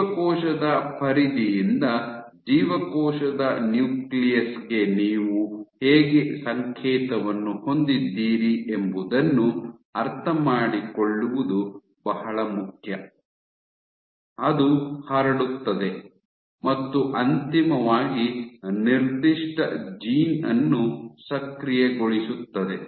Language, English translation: Kannada, So, it is important to understand how from a cell periphery to the cell nucleus you have a signal, which is transmitted and eventually activates a given gene